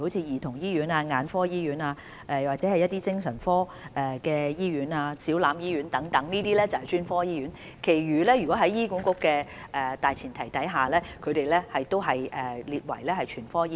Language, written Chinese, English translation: Cantonese, 兒童醫院、眼科醫院及精神科醫院等均屬專科醫院，其他醫院在醫管局規劃的大前提下均列為全科醫院。, Childrens hospitals eye hospitals and also psychiatric hospitals are specialist hospitals whereas other hospitals are designated as general hospitals according to the planning of HA